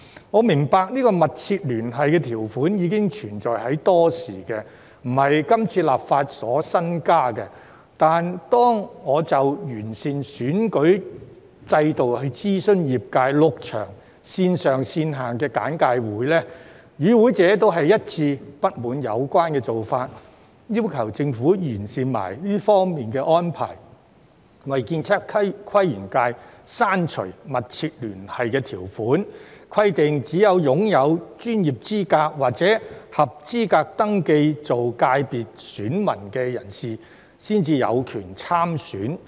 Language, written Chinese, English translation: Cantonese, 我明白"密切聯繫"條款已存在多時，並非今次立法新增，但當我就完善選舉制度諮詢業界，舉辦了6場線上線下的簡介會，與會者一致不滿有關做法，要求政府完善這方面的安排，為建測規園界刪除"密切聯繫"條款，規定只有擁有專業資格或合資格登記做界別選民的人士才有權參選。, I understand that the substantial connection clause has existed for a long time . It is not a new clause added in this legislative exercise . However during the six online and physical briefings that I have held to consult the sector on improving the electoral system participants have all expressed discontent over this arrangement and requested the Government to improve it by abolishing the substantial connection clause for the ASPL sector and stipulating that only individuals with relevant professional qualifications or eligible to register as electors of the FC may stand for elections